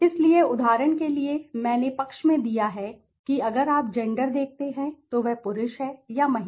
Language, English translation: Hindi, So, for example, I have given at the side if you see gender is he a male or female